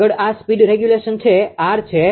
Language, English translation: Gujarati, Next is this is the speed regulation that is R